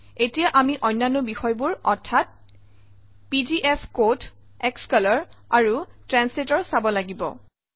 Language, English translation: Assamese, Now we will have to see the other things, namely pgfcode, xcolor and translator